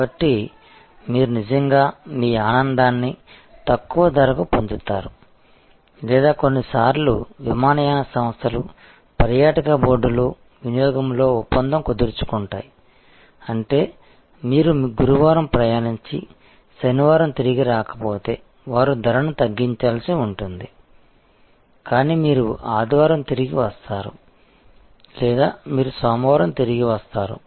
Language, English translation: Telugu, So, you actually get your happiness at a lower price or sometimes airlines give a deal in consumption in the tourism board, that the, you will have to lower price if you travel on Thursday and do not return on Saturday, but you return on Sunday or you return on Monday